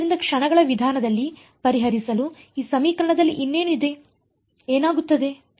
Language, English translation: Kannada, So, what else is there in this equation to solve in the method of moments, what will happen